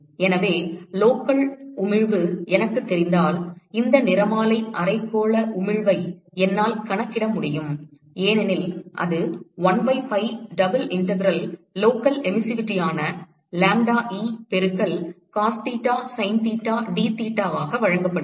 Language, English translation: Tamil, So, if I know the local emissivity, I should be able to calculate these spectral hemispherical emissivity because that is given by 1 by pi double integral the local emissivity which is lambda E into cos theta sin theta dtheta…